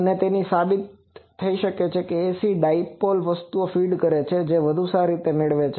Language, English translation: Gujarati, And it can be proved that these ACD feed things that gives a better gain also